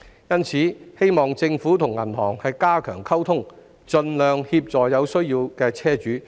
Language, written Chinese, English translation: Cantonese, 因此，我希望政府與銀行加強溝通，盡量協助有需要的車主。, Therefore I hope the Government will enhance liaison with banks to assist vehicle owners in need as far as possible